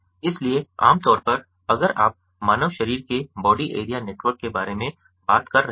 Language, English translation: Hindi, so typically, if you are talking about a human body, the body area network